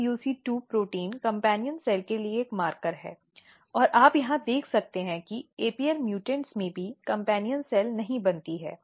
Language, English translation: Hindi, The SUC2 protein and SUC2 is a marker for companion cell and you can look here that even companion cells are not formed in the apl mutants